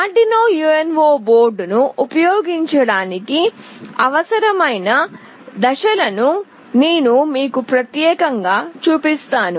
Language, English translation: Telugu, I will be specifically showing you the steps that are required to use Arduino UNO board